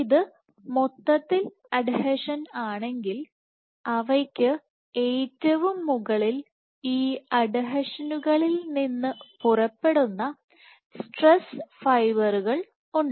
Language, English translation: Malayalam, So, if this was in whole was in adhesion at the exact top we have stress fibers which emanate from these adhesions